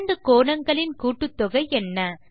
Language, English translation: Tamil, What is the sum of about two angles